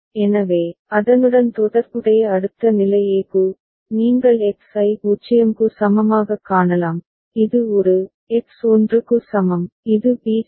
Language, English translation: Tamil, So, the corresponding next state are for a, you can see for X is equal to 0, this is a, for X is equal to 1, this is b ok